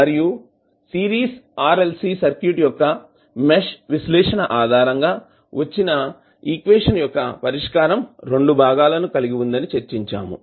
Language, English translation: Telugu, , And then we discuss that the solution of the equation which we collected based on the mesh analysis of Series RLC Circuit has 2 components